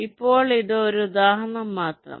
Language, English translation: Malayalam, now this is just an example